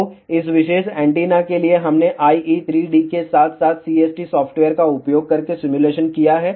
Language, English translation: Hindi, So, for this particular antenna, we have done simulation using IE3D as well as CST software